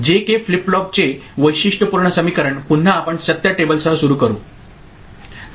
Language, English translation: Marathi, Characteristic equation of J K flip flop again we shall start with the truth table